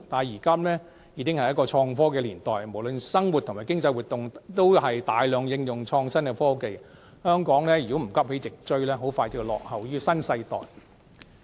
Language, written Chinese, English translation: Cantonese, 現今已是創科年代，不論生活或經濟活動也大量應用創新科技，香港如果不急起直追，很快便會落後於新世代。, In this innovation and technology era innovative technologies are widely used in our daily life and economic activities . Hong Kong will soon lag behind the new era if we do not catch up swiftly